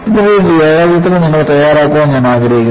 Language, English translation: Malayalam, I would like you to make a neat sketch of this